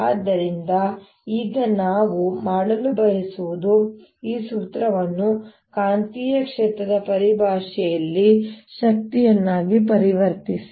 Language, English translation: Kannada, so now what we want to do is convert this formula into energy in terms of magnetic field